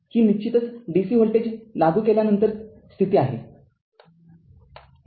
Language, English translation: Marathi, This is of course, a steady state condition when we apply dc voltage